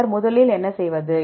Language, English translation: Tamil, Then what to do first